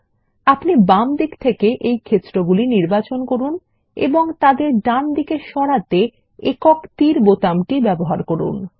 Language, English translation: Bengali, Now we will select these fields on the left and use the single arrow button to move them to the right side and click on Next button